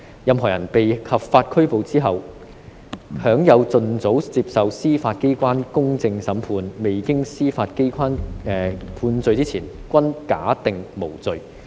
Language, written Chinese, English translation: Cantonese, 任何人在被合法拘捕後，享有盡早接受司法機關公正審判的權利，未經司法機關判罪之前均假定無罪"。, Anyone who is lawfully arrested shall have the right to a fair trial by the judicial organs without delay and shall be presumed innocent until convicted by the judicial organs